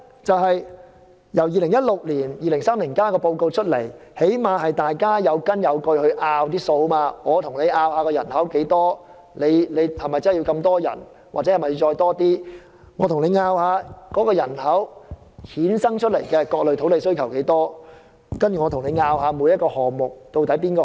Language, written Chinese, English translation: Cantonese, 在2016年發表《香港 2030+》報告後，起碼大家能有根有據地進行辯論，例如屆時有多少人口，是否真的會有這麼多人口，又或新增人口對各類土地的需求如何，以及各個項目的優劣。, After the release of the Hong Kong 2030 in 2016 at least we had some facts to base on in our debates such as the projected population whether the population could reach the projected number what types of land would be required by the increased population and the advantages and disadvantages of various plans